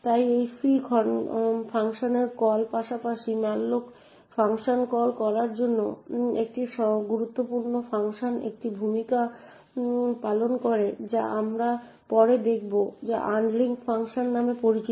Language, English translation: Bengali, So during this free function call as well as during the malloc function call an important function that plays a role as we will see later is something known as the unlink function